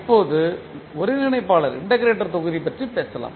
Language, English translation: Tamil, Now, let us talk about the integrator block